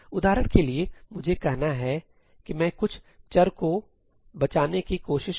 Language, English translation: Hindi, For instance, let me say that I was trying to save some variables